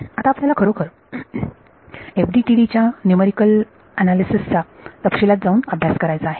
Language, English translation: Marathi, Now, we have to actually get it in to the details of the numerical analysis of FDTD